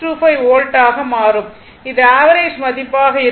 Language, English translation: Tamil, 625 volt this will be the average value right